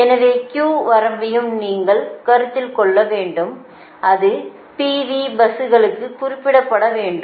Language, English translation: Tamil, so q limit also you have to consider, and it has to be specified for p v buses, right